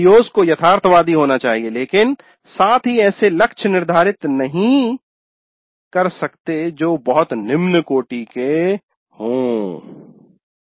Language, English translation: Hindi, The COs must be realistic but at the same time one cannot set targets which are too low